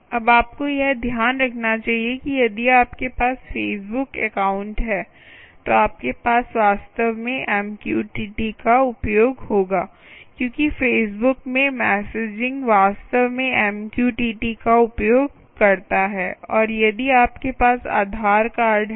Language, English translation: Hindi, now you must note that if you had have, if you have had, a facebook account, you would have actually use mqtt, because the messaging in facebook actually uses ah, mqtt